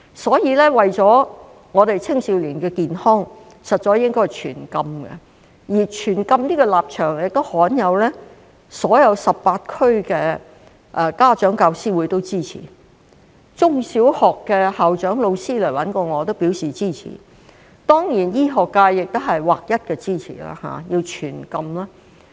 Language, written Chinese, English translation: Cantonese, 所以，為了青少年的健康，實在應該全禁，而全禁這個立場亦罕有地得到全港18區家長教師會的支持，中小學的校長和老師也來找我表示支持，當然，醫學界亦劃一支持全禁。, Therefore for the sake of young peoples health a total ban should be imposed . This position has won the rare support from the federations of parent - teacher associations of all 18 districts in Hong Kong and the principals and teachers of primary and secondary schools have also come to me to express their support . Certainly the medical profession also renders unanimous support for a total ban